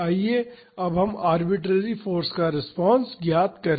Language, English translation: Hindi, Now, let us find the response to arbitrary force